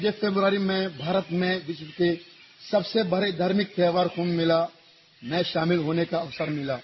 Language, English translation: Hindi, I had the opportunity to attend Kumbh Mela, the largest religious festival in India, in February